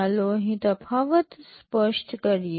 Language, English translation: Gujarati, Let us make the distinction clear here